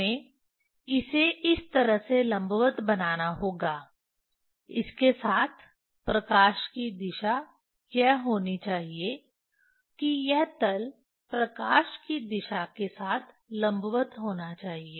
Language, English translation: Hindi, we have to make it this way vertical with this the direction of light should be this plane should be vertical with the direction of light